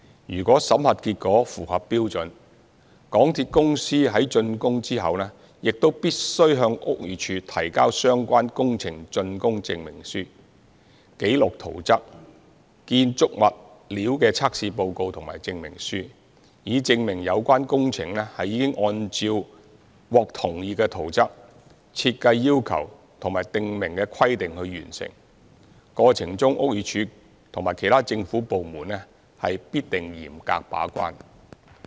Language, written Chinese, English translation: Cantonese, 如果審核結果符合標準，港鐵公司於竣工後亦必須向屋宇署提交相關工程竣工證明書、紀錄圖則、建築物料的測試報告和證明書，以證明有關工程已按照獲同意的圖則、設計要求及訂明的規定完成，過程中屋宇署及其他政府部門必定嚴格把關。, If the audit results show that they are up to standard after completion of the works MTRCL also has to submit to the Buildings Department BD the relevant completion certificate record drawings as well as test reports and certificates of construction materials so as to certify that the relevant works have been completed in accordance with the approved plans as well as the design and stipulated requirements . BD and other government departments will definitely perform their gatekeeping role rigorously in the process